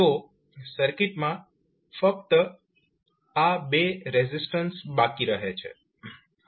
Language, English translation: Gujarati, So, what we left in the circuit is only these 2 resistances